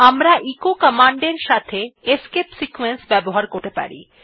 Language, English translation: Bengali, We can also use escape sequences with echo command